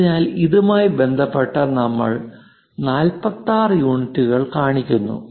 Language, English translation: Malayalam, So, with respect to that we show 46 units